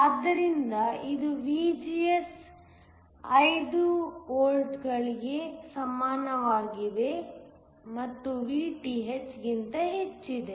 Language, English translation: Kannada, So, this is for VGS equal to 5 volts which is greater than Vth